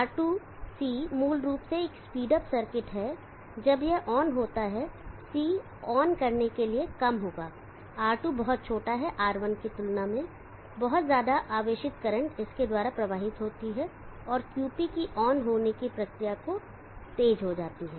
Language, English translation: Hindi, R2C is basically as speed up circuit when this terms on C will be a short for turned on R2 is very small compared to R1 very large, such current flows through it and speeds of the terminal process of QP